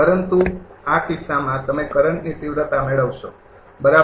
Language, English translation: Gujarati, But in this case, you will get the magnitude of current, right